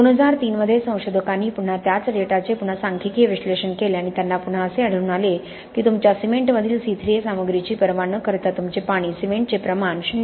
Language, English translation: Marathi, Again the same data was again further analysed statistically by researchers not too far back in 2003 and they again found that irrespective of the C 3 A content of your cement irrespective of C 3 A content of your cement if your water cement ratio is less than 0